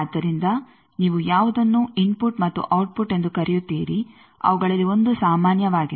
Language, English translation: Kannada, So, which 1 you call input and output 1 of them is common